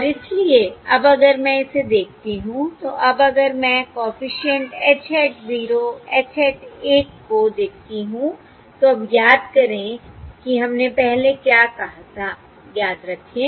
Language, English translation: Hindi, And therefore, now, if I look at this, now if I look at the coefficient h hat 0, h hat 1, now, remember what we said earlier, remember The h hat, the capital H S, what are they